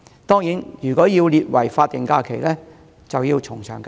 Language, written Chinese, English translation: Cantonese, 當然，如果要把這一天列為法定假日，則要從長計議。, While this day has a commemorative meaning the proposed to designate this day as a statutory holiday certainly requires careful consideration